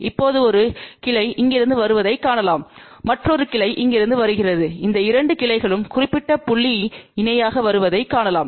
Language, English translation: Tamil, Now we can see that a one branch is coming from here another branch is coming from here and we can see that these 2 branches are coming in parallel at this particular point